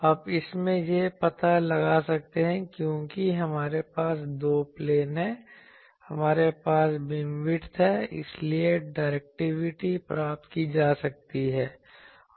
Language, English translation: Hindi, Now, from this, we can find out, since we have in two planes, we have the beam width, so directivity can be obtained